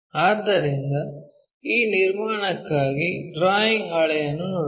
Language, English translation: Kannada, So, let us look at our drawing sheet for this construction